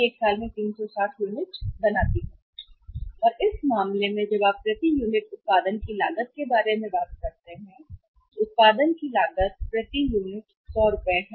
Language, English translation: Hindi, And in this case the cost of production when you talk about the cost of production per unit is, cost of production is rupees 100 per unit